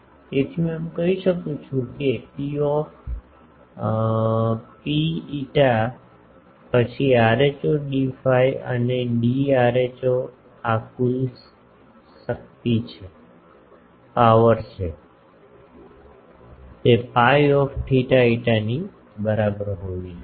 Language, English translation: Gujarati, So, I can say that P rho phi then rho d phi and d rho this is the total power, that should be equal to that P i theta phi